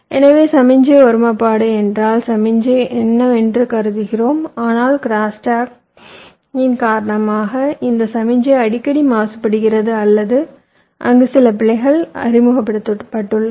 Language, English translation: Tamil, so signal integrity means the signal what is suppose to be, but because of crosstalk this signal is getting frequency polluted or there is some error introduced there in